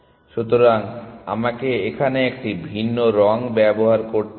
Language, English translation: Bengali, So, let me use a different color here